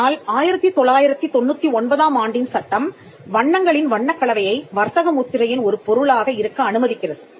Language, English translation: Tamil, But the 1999 act allows for colour combination of colours to be a subject matter of trademark